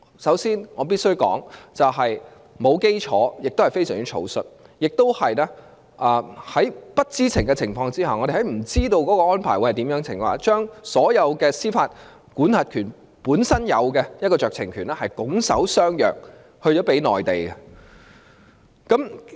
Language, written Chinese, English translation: Cantonese, 首先，我必須指出，這種做法沒有基礎，亦非常草率，我們亦在不知情的情況下，將所有香港作為獨立司法管轄區本身所擁有的酌情權，拱手相讓給內地。, In the first place I must point out that the approach is groundless and too hasty . Unknowingly we will surrender voluntarily the power of discretion entitled to an independent jurisdiction to the Mainland